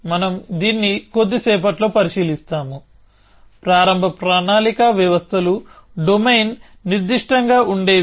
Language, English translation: Telugu, We will look at this in little bit while, the early planning systems were kind of domain specific